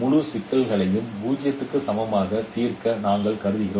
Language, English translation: Tamil, We consider to solve the whole problem as age equals 0